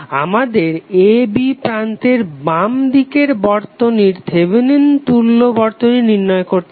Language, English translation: Bengali, We need to find out Thevenin equivalent to the left of terminal a b